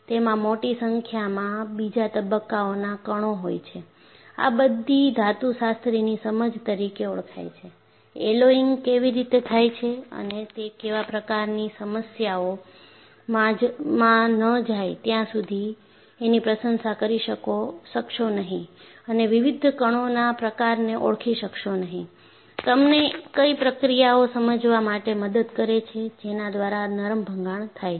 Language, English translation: Gujarati, They contain a large number of second phase particles, these are all understanding from metallurgy, say unless, you go into, how alloying is done and what kind of issues, you will not be able to appreciate this and recognizing the kind of various particles, helps you to understand, what are the processors, by which ductile rupture takes place